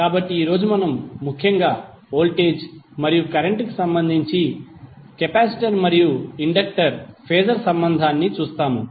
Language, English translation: Telugu, So today we will see particularly the capacitor and inductor Phasor relationship with respect to voltage and current